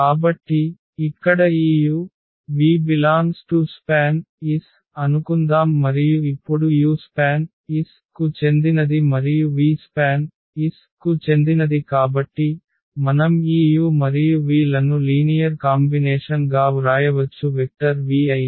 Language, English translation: Telugu, So, here let us suppose this u and v they belong to this span S and now because u belongs to the span S and v belongs to the span S so, we can write down this u and v as a linear combination of the vectors v’s